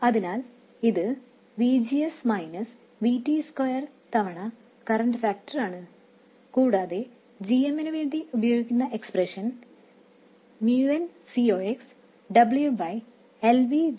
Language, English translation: Malayalam, So, this is VGS minus VT square times the current factor and GM the expression we have been using is MUNC C Ox W by L VGS minus VT